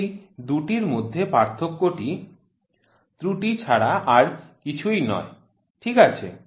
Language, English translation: Bengali, The difference between these two is nothing, but the error, ok